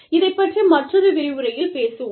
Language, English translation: Tamil, We will talk about this, in another lecture